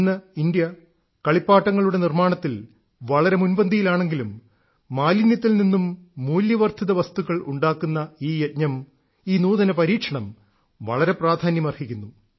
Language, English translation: Malayalam, Today, while India is moving much forward in the manufacturing of toys, these campaigns from Waste to Value, these ingenious experiments mean a lot